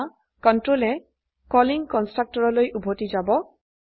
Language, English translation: Assamese, Now, the control goes back to the calling constructor